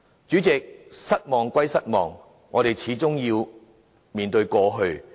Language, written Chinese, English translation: Cantonese, 主席，失望歸失望，我們始終要面對過去。, President in spite of our disappointment we still have to face the past